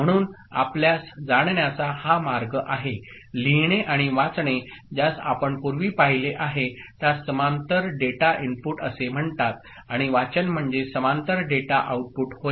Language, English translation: Marathi, So, that is the way of you know, writing and reading the way you have seen it before is called parallel data input and reading is parallel data output